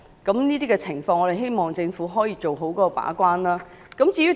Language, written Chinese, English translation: Cantonese, 就這些情況，我們希望政府可以做好把關工作。, In this connection we hope the Government can enhance its gatekeeping role